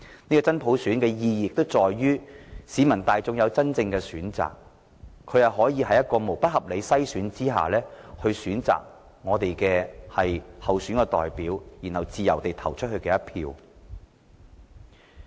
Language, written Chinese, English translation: Cantonese, 這真普選的意義在於市民大眾擁有真正的選擇，在沒有不合理篩選的情況下，選擇我們的候選代表，然後自由地投下一票。, The purpose of implementing genuine universal suffrage is to give the people real choices so that we can select and freely vote for candidates in an election without any unreasonable screening